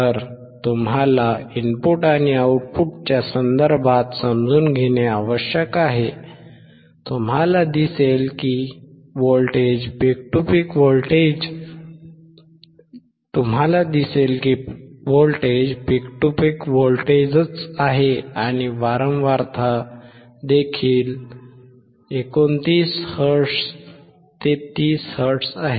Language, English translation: Marathi, So, you have to understand in terms of input and output, you see that the voltage is same peak to peak voltage and the frequency is also about 29 hertz to 30 hertz